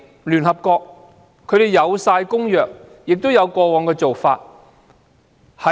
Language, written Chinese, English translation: Cantonese, 聯合國有相關公約，亦有過往的做法。, The United Nations has relevant conventions and past practices